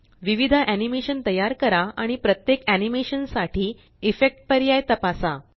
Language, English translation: Marathi, Create different animations and Check the Effect options for each animation